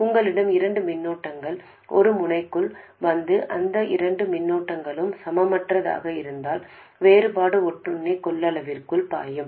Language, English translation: Tamil, If you have two currents coming into a node and those two currents are unequal, the difference will flow into a parasitic capacitance